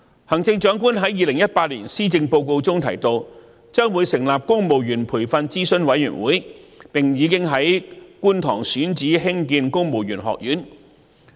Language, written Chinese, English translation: Cantonese, 行政長官在2018年施政報告中提到，將會成立公務員培訓諮詢委員會，並已經在觀塘選址興建公務員學院。, In her policy address in 2018 the Chief Executive announced the establishment of a civil service training advisory board and also a site in Kwun Tong for the construction of the civil service college